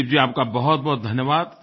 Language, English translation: Hindi, Dilip ji, thank you very much